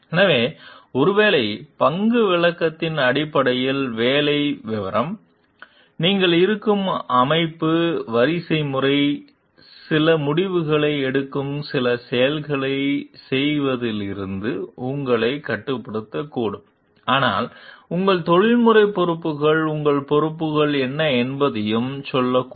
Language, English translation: Tamil, So, the job description based on maybe the role description, the hierarchy the organization that you are in may restrict you from doing certain acts taking certain decisions and but your professional responsibilities may also tell what are your degrees of responsibilities